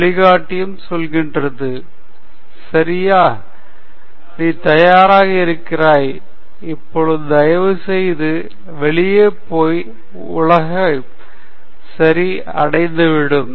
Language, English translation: Tamil, And the guide also says, ok, you are ready, now please go out and conquer the world okay